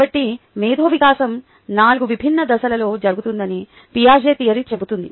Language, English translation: Telugu, so the piagets theory says that the intellectual development happens in four indistinct stages